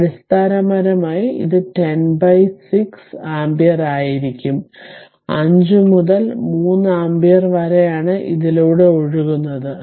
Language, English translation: Malayalam, So, basically it will be 10 by 6 ampere that is 5 by 3 ampere that is the current flowing through this right and